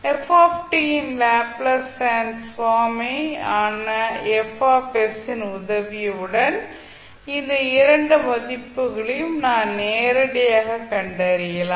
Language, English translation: Tamil, And we can find out these two values directly with the help of Laplace transform of f t that is F s